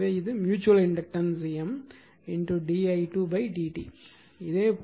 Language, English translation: Tamil, So, that is the mutual inductance M into d i 2 upon d t